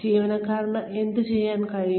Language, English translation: Malayalam, What the employee would be able to do